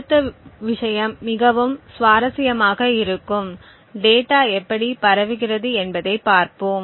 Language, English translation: Tamil, The next thing would be quite interesting so we would look at how the data is being transmitted